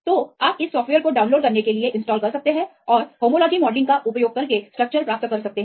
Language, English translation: Hindi, So, you can download this software install this software and you can get the structure using homology modelling